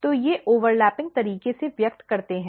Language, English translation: Hindi, So, they express in the overlapping manner